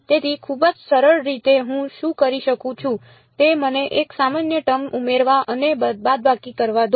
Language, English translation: Gujarati, So, very simply what I can do is let me add and subtract a common term